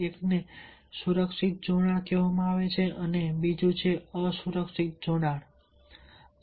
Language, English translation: Gujarati, one is called the secure attachment, another is called the insecure attachment